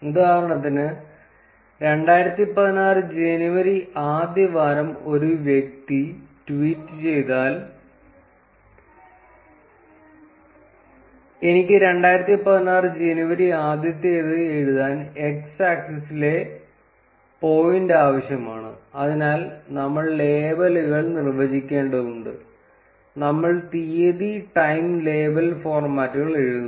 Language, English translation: Malayalam, For instance, if a person tweets on first January 2016, I need that point on x axis to be written as first January 2016, so for that we need to define labels, and we write date time label formats